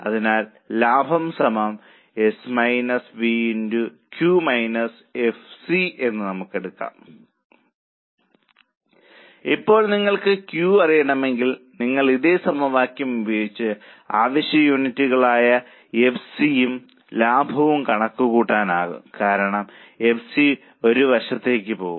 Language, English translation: Malayalam, Now if you want to know Q you can use the same equation for calculating desired level of units which is FC plus profit because FC will go on this side